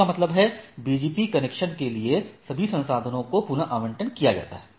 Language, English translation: Hindi, This means, all the resources for the BGP connection are deallocated right